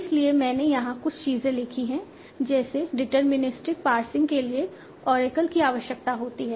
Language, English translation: Hindi, So I have written here certain things like deterministic passing requires in Oracle